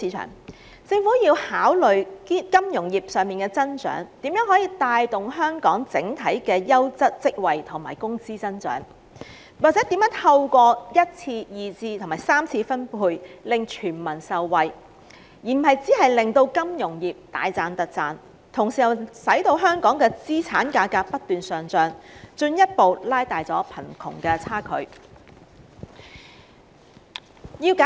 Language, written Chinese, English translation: Cantonese, 有鑒於此，政府應考慮金融業的增長可如何帶動本港整體的優質職位供應及工資增長，又或如何透過1次、2次及3次分配令全民受惠，而非只令金融業賺個盤滿缽滿之餘，本地的資產價格卻不斷上漲，進一步拉遠貧富差距。, In view of this the Government should consider how the growth of our finance sectors can help boost the overall supply of quality jobs and wages growth or how the entire community will be benefited through primary secondary and tertiary distribution rather than allowing the finance sectors to make a killing and the local asset prices to surge non - stop where the wealth gap will be further widened